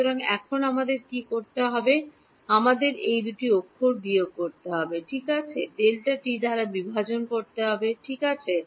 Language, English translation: Bengali, So, now, what do we have to do we have to subtract these two characters and divide by delta t ok